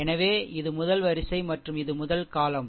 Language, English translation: Tamil, So, this is the first row and this is the first column